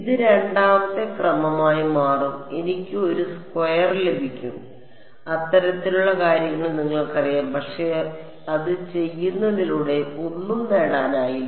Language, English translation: Malayalam, It will become second order I will get a U i squared and you know those kind of thing, but what is the nothing is achieved by doing it